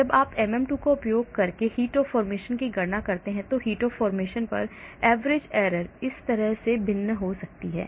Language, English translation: Hindi, When you calculate heat of formation using MM2, the average error on heat of formation may vary like this